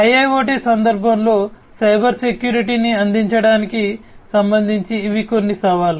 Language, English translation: Telugu, So, in the context of IIoT these are some of the challenges with respect to provisioning Cybersecurity